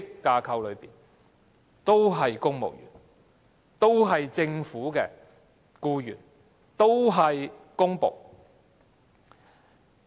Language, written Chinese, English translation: Cantonese, 大家都是公務員、都是政府的僱員、都是公僕。, They are all civil servants and they are government employees public servants alike